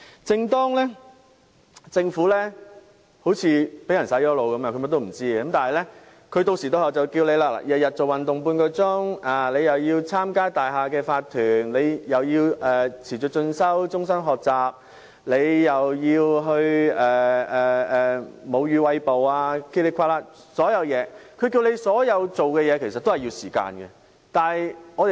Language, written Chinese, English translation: Cantonese, 正當政府好像被"洗腦"般甚麼也不知道時，當局定時定候也會提醒我們要每天運動半小時、參與大廈業主立案法團、持續進修、終身學習、餵哺母乳等，但它提醒我們做的所有事情其實也要花上時間。, While the Government appears to be all at sea as a result of brainwashing the authorities will give us regular reminders about the importance of half an hour of physical activity every day involvement in owners corporations of buildings continued education lifelong learning and breastfeeding etc . But in fact everything it reminds us to do takes time